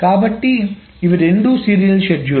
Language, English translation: Telugu, So these are the two serial schedules